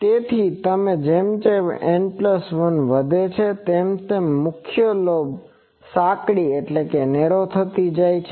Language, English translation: Gujarati, So, as N plus 1 increases, the main lobe gets narrower